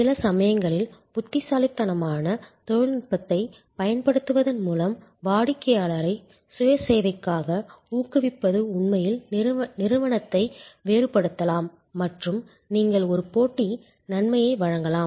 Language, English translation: Tamil, And sometimes with clever deployment of technology, encouraging the customer for self service can actually differentiate the company and you can give a competitive advantage